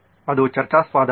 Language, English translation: Kannada, Is that debatable